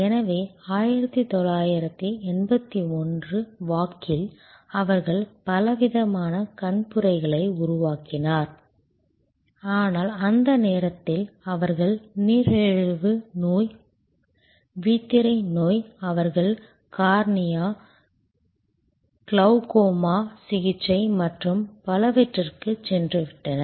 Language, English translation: Tamil, So, by 1981 they had created number of different not only cataract, but by that time, they had gone into diabetic, retinopathy, they had gone into cornea, glaucoma treatment and so on